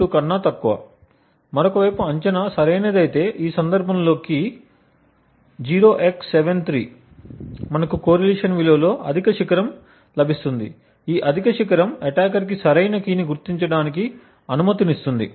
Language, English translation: Telugu, 02, on the other hand if the guess is correct which in this case is the key is 0x73 we get a high peak in the correlation value, this high peak would thus permit the attacker to identify the correct key